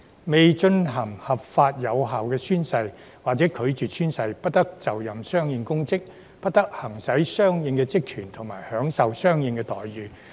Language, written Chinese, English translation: Cantonese, 未進行合法有效宣誓或者拒絕宣誓，不得就任相應公職，不得行使相應職權和享受相應待遇。, No public office shall be assumed no corresponding powers and functions shall be exercised and no corresponding entitlements shall be enjoyed by anyone who fails to lawfully and validly take the oath or who declines to take the oath